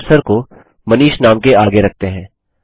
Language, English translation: Hindi, Let us place the cursor after the name,MANISH